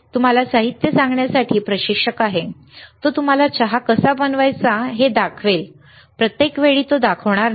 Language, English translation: Marathi, Instructor is there to tell you the ingredients, he will show you how to make tea for one time, not every time right